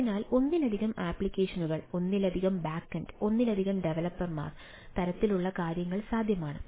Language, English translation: Malayalam, so, multiple apps, multiple back end, multiple ah uh, developers, ah, things are possible